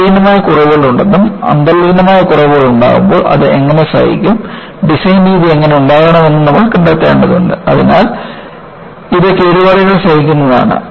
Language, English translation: Malayalam, We know that, there are inherent flaws and we need to find out, when there are inherent flaws, how do I tolerate it, how do I make my design methodology; so that, it is damage tolerant